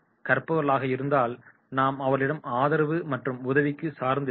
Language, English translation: Tamil, If the learner is that and then we can take them and rely for support and help